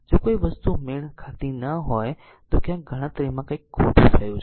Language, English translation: Gujarati, If you see something is not matching then somewhere something has gone wrong in calculation